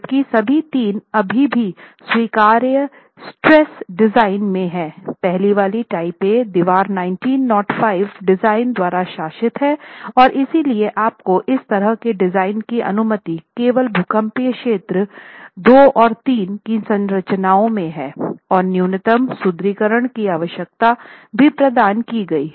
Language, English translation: Hindi, It's governed by the, while all the three are still in the allowable stresses design, the first one, type A wall is governed by 1905 design and that's why you are allowed to design such structures only in seismic zones 2 and 3 and the minimum reinforcement requirement is anyway provided